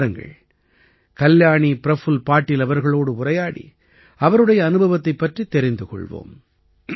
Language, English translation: Tamil, Come let's talk to Kalyani Prafulla Patil ji and know about her experience